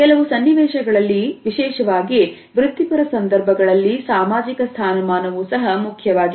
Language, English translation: Kannada, In certain scenarios particularly in professional situations one status is also important